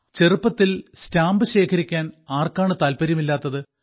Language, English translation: Malayalam, Who does not have the hobby of collecting postage stamps in childhood